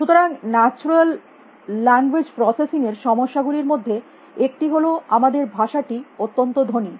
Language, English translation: Bengali, So, one of the problems in natural language processing is that our language is so rich